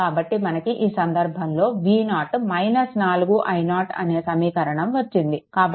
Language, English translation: Telugu, So, in this case we got this relationship V 0 is equal to minus 4 i 0